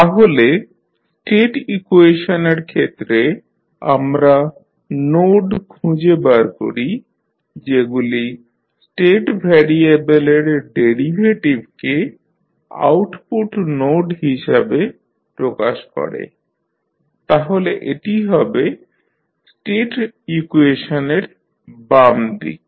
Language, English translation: Bengali, Now, for the state equation we find the nodes that represent the derivatives of the state variables as output nodes, so this will become the left side of the state equation